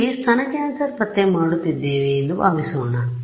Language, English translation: Kannada, So, supposing I was doing breast cancer detection there